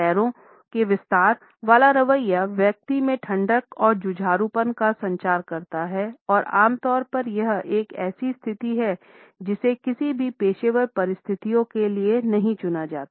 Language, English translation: Hindi, The straddling stance communicates an added coldness and belligerence in the person’s attitude and normally this is a position which is never opted for in any professional situation